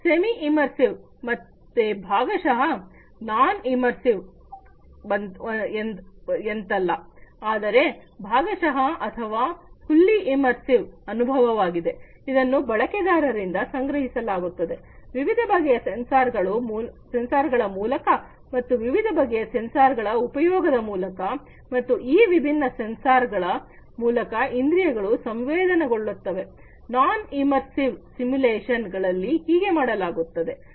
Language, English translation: Kannada, Semi immersive again partly you know it is not like the non immersive, but here partly partially or fully immersive experience is gathered by the users, through these different sensors and the users use of these different sensors and the senses sensing up through these different sensors, this is what is done in this non semi immersive simulations